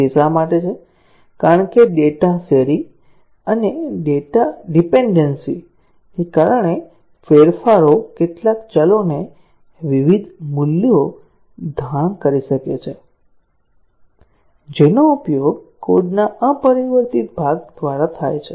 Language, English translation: Gujarati, Why is that, because of the data sharing and data dependency the changes may cause some variables to assume different values, which are used by the unchanged part of the code